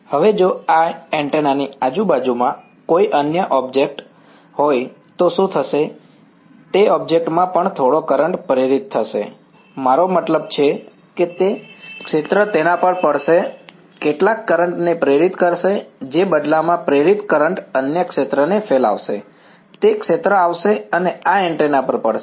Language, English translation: Gujarati, Now, what happens if there is some other object in the vicinity of this antenna, that object will also have some current induced, I mean the field will fall on it, induce some current that induced current in turn will radiate another field, that field will come and fall on this antenna